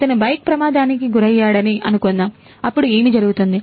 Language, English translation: Telugu, Suppose he meets a bike accident, then what will happen